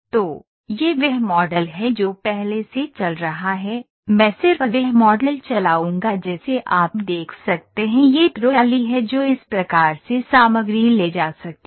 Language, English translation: Hindi, So, this is the model it is already running, so I will just run the model you can see this is the trolley that can pick of a material from